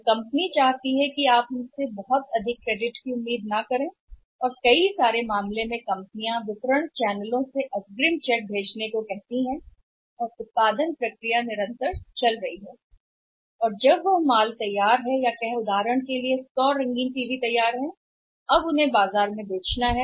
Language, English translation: Hindi, And company wants that you are not expect much credit from us and in many cases companies asks the distribution channels also to send the advance text to the company and production process is continuous and when any any material is ready or any say for example 100 colour TV ready they have to be now say sold in the market